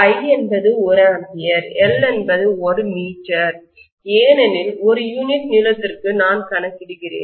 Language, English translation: Tamil, I is 1 ampere, L is 1 meter because per unit length I am calculating